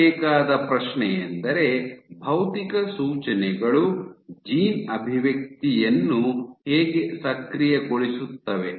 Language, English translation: Kannada, So, the question to ask is, how do physical cues activate gene expression